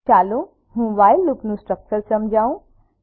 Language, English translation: Gujarati, Let me explain the structure of while loop